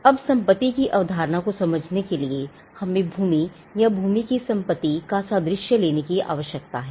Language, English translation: Hindi, Now, to understand the concept of property, we need to take the analogy of land or landed property